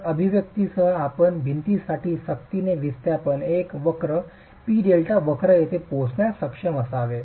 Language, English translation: Marathi, So, with the expression you should be able to arrive at a force displacement curve, a P delta curve for the wall itself